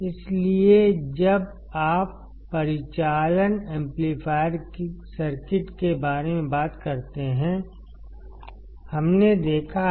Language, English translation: Hindi, So, when you talk about operational amplifier circuits; what have we seen